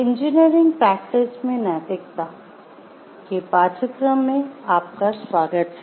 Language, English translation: Hindi, Welcome to the course on Ethics in Engineering Practice